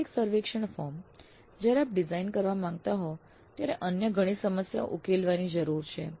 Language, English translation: Gujarati, The actual survey form when we want to design, many other issues need to be resolved